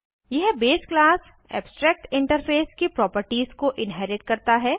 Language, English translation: Hindi, This also inherits the base class abstractinterface